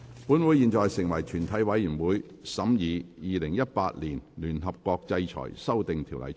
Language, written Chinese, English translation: Cantonese, 本會現在成為全體委員會，審議《2018年聯合國制裁條例草案》。, Council now becomes committee of the whole Council to consider the United Nations Sanctions Amendment Bill 2018